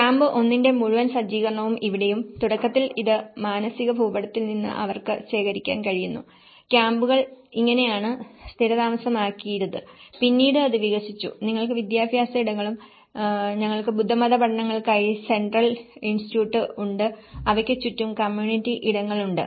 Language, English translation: Malayalam, And here also the whole setup of camp 1 and initially, this is from the mental map she could able to procure that, this is how the camps have settled and then later it has expanded and you have the educational spaces and we have the Central Institute of Buddhist Studies and they have the community spaces all around